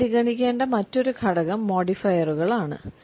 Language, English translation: Malayalam, Another aspect we have to consider is modifiers